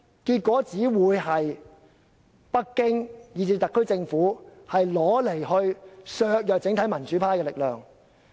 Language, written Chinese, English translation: Cantonese, 結果只會是北京以至特區政府得以削弱民主派的力量。, Consequently the Beijing authority and also the SAR Government will be able to weaken the power of the democrats